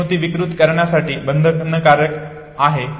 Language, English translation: Marathi, This is bound to distort the memory, okay